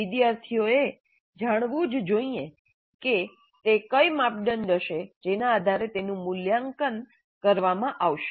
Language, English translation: Gujarati, Students must know what would be the criteria on which they are going to be assessed and evaluated